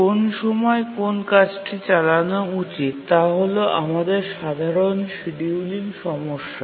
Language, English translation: Bengali, We were worried which tasks should run at one time and that was our simple scheduling problem